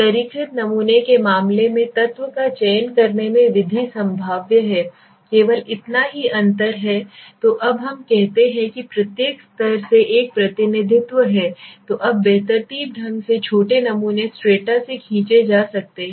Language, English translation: Hindi, In the case of the stratified sampling the method of selecting the element is the probabilistic method that s the only difference so now let us say from each stratum there is a representation okay then now randomly short samples are pulled from the each strata okay